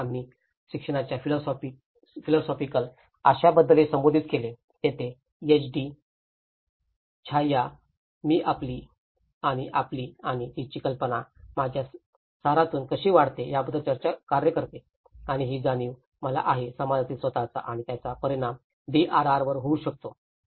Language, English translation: Marathi, And then, we also addressed about the philosophical content of the education, that is where the HD CHAYYA work on the how the notion of I, we, and our and how it expands from the very essence of I and that is very a realization to the self to the society and that can actually have a major impact on the DRR